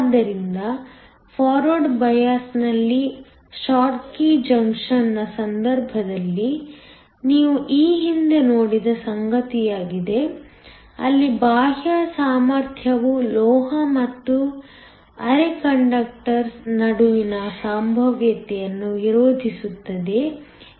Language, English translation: Kannada, So, this is something you have seen earlier in the case of a short key junction in forward bias, where we saw that the external potential will oppose the potential between the metal and the semi conductor